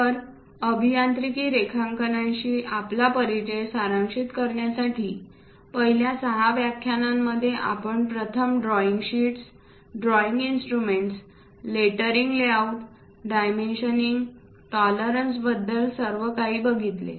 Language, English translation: Marathi, So, to summarize our introduction to engineering drawings, we first looked at drawing sheets, drawing instruments, lettering layouts complete picture on dimensioning tolerances in the first 6 lectures